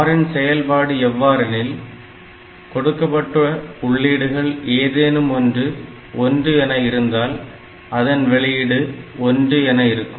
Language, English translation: Tamil, And in case of OR gate, whenever any of the inputs is 1, output will be 1